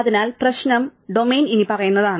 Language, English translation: Malayalam, So, the problem domain is the following